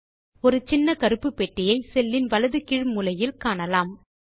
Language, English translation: Tamil, You will now see a small black box at the bottom right hand corner of the cell